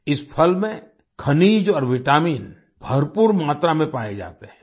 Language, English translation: Hindi, In this fruit, minerals and vitamins are found in abundance